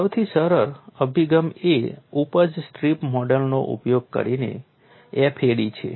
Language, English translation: Gujarati, Simplest approach is FAD using yield strip model